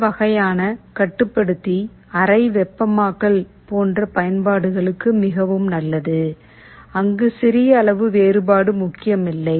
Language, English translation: Tamil, This kind of a controller is quite good for applications like room heating, where small degree difference does not matter